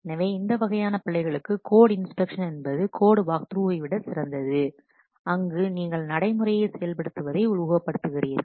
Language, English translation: Tamil, So for this kind of errors, code inspection is the better one rather than the code work through where you are simply hand simulating the execution of the procedure